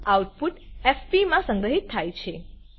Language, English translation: Gujarati, The output is stored in fp